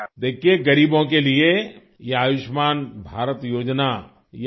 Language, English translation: Urdu, See this Ayushman Bharat scheme for the poor in itself…